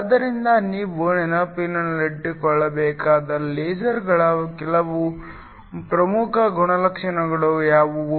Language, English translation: Kannada, So, what are some of the important properties of lasers that you must keep in mind